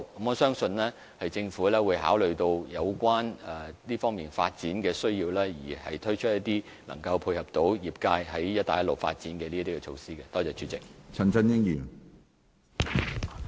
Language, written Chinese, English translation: Cantonese, 我相信政府會考慮這方面的發展需要，推出一些可以配合業界發展"一帶一路"市場的措施。, I believe the Government will take into account the development needs in this respect and introduce some measures that dovetail with the industries efforts in the development of Belt and Road markets